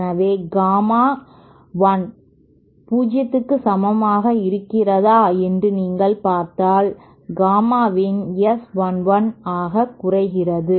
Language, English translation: Tamil, So if you see if gamma l is equal to 0 then gamma in reduces to S 1 1